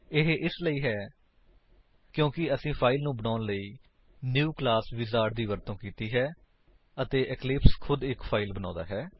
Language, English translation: Punjabi, This is because we use the New Class wizard to create a file and eclipse creates a file automatically